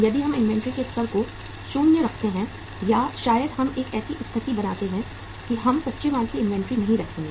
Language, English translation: Hindi, If we keep the level of inventory maybe 0 or maybe we create a situation that we will not keep the inventory of raw material